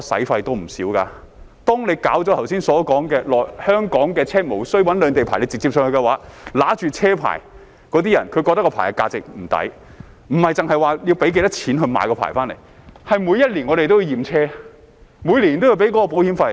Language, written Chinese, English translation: Cantonese, 倘若如剛才說，香港車輛可以無需兩地牌照而直接北上，持有那些車牌的人便會感到物非所值，不止是因為要用多少錢來申請牌照，而是他們每年都要驗車，每年都要繳交保險費。, If as I have just said Hong Kong vehicles can go north directly without the need for dual licences those holding such licences will feel that the money was not well spent not just because of the amount of money spent on licence applications but also because they are required to have their vehicles examined every year and pay annual insurance premiums